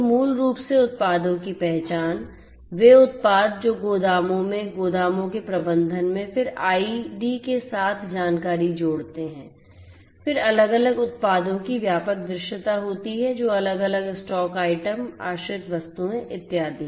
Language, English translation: Hindi, So, basically identification of the products; products that are shelved in the warehouses in the management of the warehouses, then adding information along with the ID, then having comprehensive visibility of the different products that different stocked items, shelved items and so on